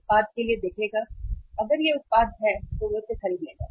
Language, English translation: Hindi, Look for the product, if it is available he will buy it